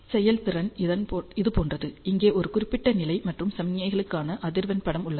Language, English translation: Tamil, The performance is like this here is the snapshot for a particular level and frequency of the signals